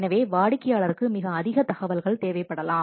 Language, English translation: Tamil, So, the customer may need further information